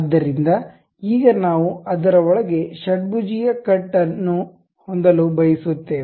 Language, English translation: Kannada, So, now we would like to have a hexagonal cut inside of that